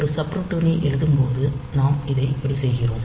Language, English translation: Tamil, So, this is the way we can write down the subroutine